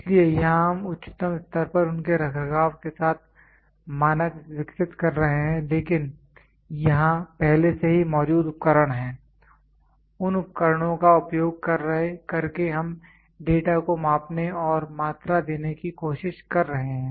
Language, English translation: Hindi, So, here we are developing standards with their maintenance at the highest level, but here already preexisting equipment is there using that equipment we are trying to measure and quantify data